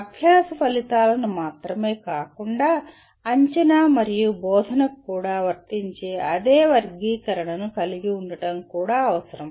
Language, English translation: Telugu, And it is also desirable to have the same taxonomy that is applicable to not only learning outcomes, but also assessment and teaching